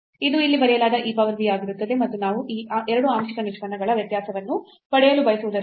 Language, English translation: Kannada, So, this will become e power v which is written here and now since we want to get the difference of these 2 partial derivatives